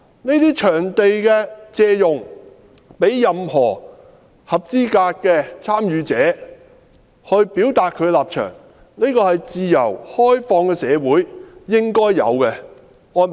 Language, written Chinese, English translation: Cantonese, 借用場地給任何合資格的參與者表達他的立場，這是自由開放的社會應該有的安排。, Hiring out venues to eligible participants to express their positions is an appropriate arrangement in a free and open society